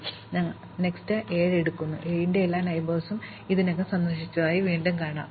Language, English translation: Malayalam, Then, we pick up 7; once again we find that all the neighbors of 7 have already been visited